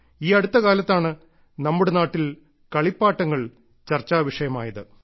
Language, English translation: Malayalam, Just a few days ago, toys in our country were being discussed